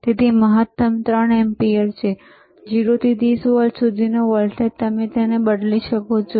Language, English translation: Gujarati, So, maximum is 3 ampere and voltage from 0 to 30 volts you can change it